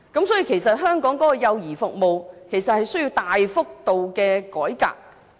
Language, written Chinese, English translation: Cantonese, 所以，香港的幼兒服務需要大幅度的改革。, Therefore child care services in Hong Kong require a major revamp